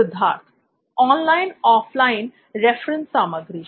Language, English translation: Hindi, Online, offline reference materials